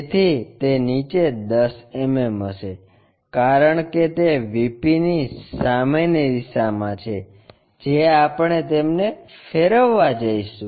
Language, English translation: Gujarati, So, below that will be 10 mm, because that is the direction in front of VP which we are going to rotate it